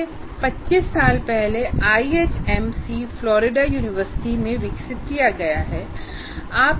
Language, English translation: Hindi, And this tool has been developed more than 25 years ago at the University of Florida